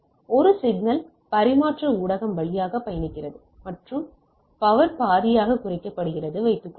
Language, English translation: Tamil, Suppose a signal travels through a transmission media and its power is reduced to half